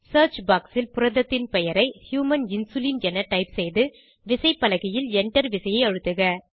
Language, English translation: Tamil, In the search box type name of the protein as Human Insulin.Press Enter key on the keyboard